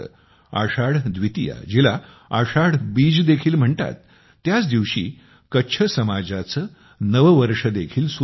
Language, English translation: Marathi, Ashadha Dwitiya, also known as Ashadhi Bij, marks the beginning of the new year of Kutch on this day